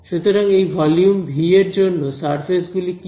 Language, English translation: Bengali, So, on for this volume V what are the surfaces